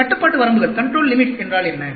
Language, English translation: Tamil, What is this control limits